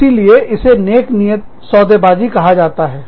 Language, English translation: Hindi, So, that is called, good faith bargaining